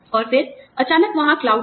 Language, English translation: Hindi, And then, suddenly, there was the cloud